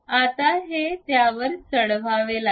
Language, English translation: Marathi, Now, this one has to be mounted on that